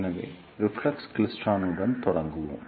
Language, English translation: Tamil, So, let us begin with reflex klystron